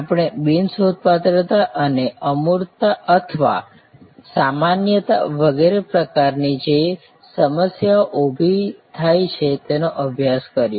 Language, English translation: Gujarati, We studied the kind of problems that are raise, like non searchability or abstractness or generality and so on